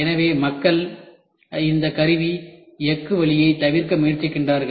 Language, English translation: Tamil, So, that is why people try to avoid this tool steel route of making die